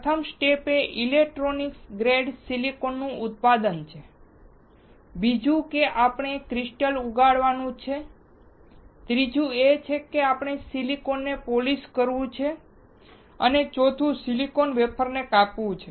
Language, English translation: Gujarati, First step is production of electronic grade silicon, second is we have to grow the crystal, third is we have to polish the silicon and fourth is slicing of silicon wafers